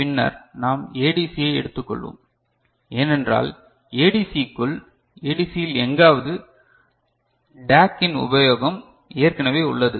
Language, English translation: Tamil, Later, we shall take up ADC, because in ADC within ADC somewhere a concept of DAC is already there right